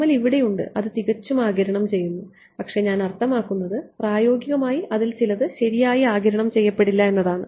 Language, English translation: Malayalam, PML over here so, its absorbing it almost perfectly, but I mean in practice some of it will not get absorbed right